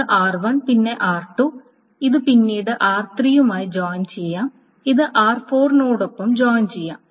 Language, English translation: Malayalam, So R1 is joined with R2 and then that is joined with R3